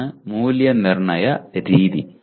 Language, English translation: Malayalam, This is the assessment pattern